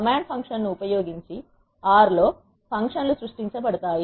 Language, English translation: Telugu, Functions are created in R by using the command function